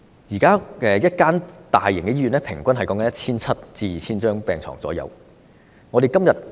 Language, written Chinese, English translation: Cantonese, 現時一間大型醫院平均可提供 1,700 張至 2,000 張病床。, At present a large - scale hospital can on average provide 1 700 to 2 000 hospital beds